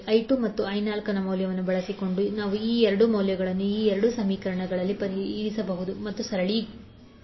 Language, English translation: Kannada, So using I 2 value and the value of I 4, we can put these 2 values in these 2 equations and simplify